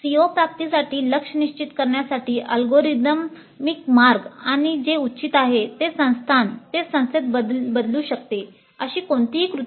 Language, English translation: Marathi, There is no recipe, algorithmic way of determining the targets for CO attainment and what is reasonable can vary from institute to institute